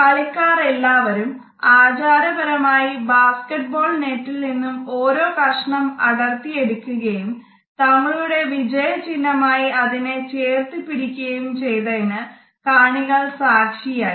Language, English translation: Malayalam, The audience witnessed that each player had ritualistically cut a piece of the basketball net and proudly clutched this symbol of victory